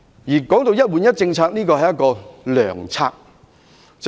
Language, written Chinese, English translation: Cantonese, 談到"一換一"計劃，這是良策。, When it comes to the One - for - One Replacement Scheme it is a good initiative